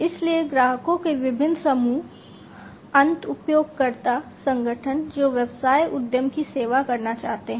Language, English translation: Hindi, So, different groups of customers, the end user organizations that the business enterprise aims to serve